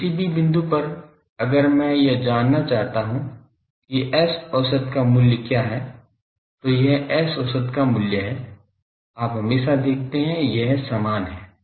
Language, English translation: Hindi, So, at any point if I want to find what is the value of S average, this is the value of S average you see always it is same